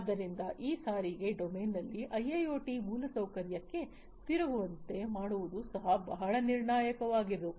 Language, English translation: Kannada, So, securing this turns into the IIoT infrastructure in this transportation domain is also very crucial